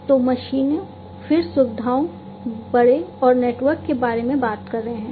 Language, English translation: Hindi, So, we are talking about machines, then facilities, fleet and network